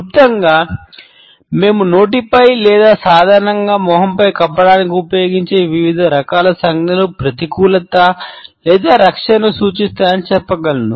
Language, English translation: Telugu, In brief, we can say that different types of gestures, which we use to cover over mouth or face normally, indicate either negativity or defense